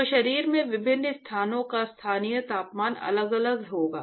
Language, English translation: Hindi, So, the local temperature of different location of the body will be different